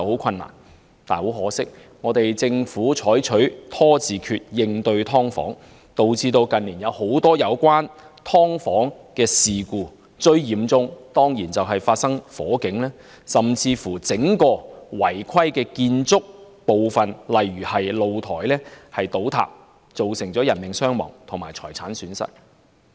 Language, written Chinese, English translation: Cantonese, 很可惜，政府採取"拖字訣"應對"劏房"問題，導致近年發生很多涉及"劏房"的事故，最嚴重的當然是發生火警，甚至整個違規建築部分倒塌，造成人命傷亡和財產損失。, Unfortunately the Government has adopted a stalling tactic in addressing the problem of subdivided units which has led to a host of accidents involving such units in recent years . Fire is certainly the most serious one and the collapse of the entire unauthorized building works has even occurred causing casualties and loss of property